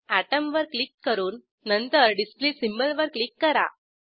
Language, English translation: Marathi, Click on Atom and then click on Display symbol